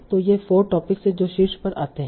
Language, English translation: Hindi, So these are the four topics that come on top